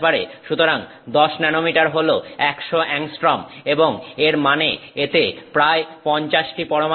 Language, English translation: Bengali, So, 10 nanometers is 100 angstroms and that means this is about 50 atoms across